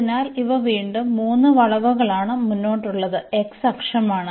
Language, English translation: Malayalam, So, these are the 3 curves again and the x axis the forth one is the x axis